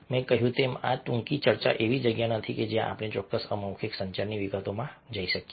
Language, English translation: Gujarati, as i told you, this short talk is not a place where we can go into the details of specific non verbal communication